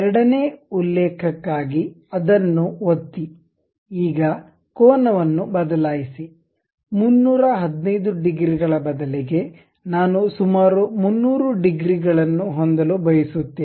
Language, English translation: Kannada, For the second reference click, click that; now change the angle, instead of 315 degrees, I would like to have some 300 degrees